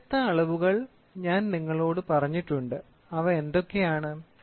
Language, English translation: Malayalam, I have told you different types of measurement what are they